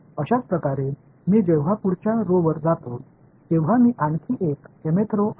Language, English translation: Marathi, So, similarly when I go to the next row this is yet another the mth row